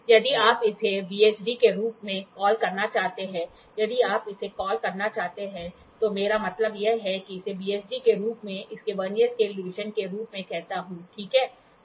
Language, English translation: Hindi, If you want to call it as VCD, if you want to call it as I mean I call it as VSD VSD its Vernier scale division, ok